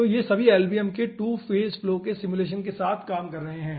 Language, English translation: Hindi, so all these are dealing with lbms, simulation of 2 phase flow